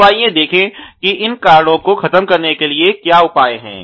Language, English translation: Hindi, So, let us look at what are the counter measures to eliminate these causes